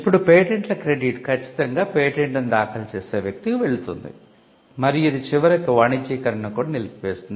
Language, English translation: Telugu, Now, the credit for the patents will definitely go to the person who files the patent, and this could also eventually it could stall commercialization itself